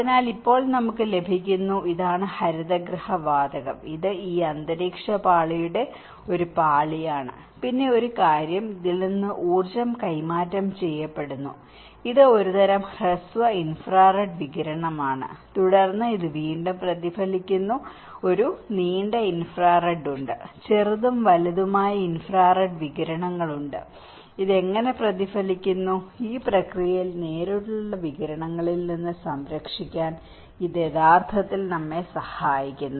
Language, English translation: Malayalam, So, now we are getting and this is the greenhouse gas, it is a layer of this atmospheric layer, and then one thing is the energy is transferring from this which is a kind of short infrared radiation and then, this is again reflected back, and there is a long infrared; there is a short and long infrared radiations and how it is reflected back, and then in this process this is actually helping us to protect from the direct radiation